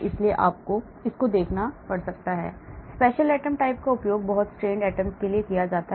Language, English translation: Hindi, so you may have to go for this, special atom types may be used for very strained atoms